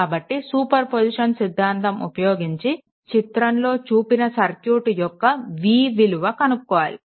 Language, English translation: Telugu, So, using superposition theorem determine v, in the circuit shown in figure this things right